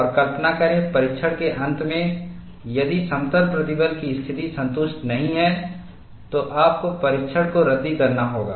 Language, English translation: Hindi, And imagine, at the end of the test, if plane strain condition is not satisfied, you have to scrap the test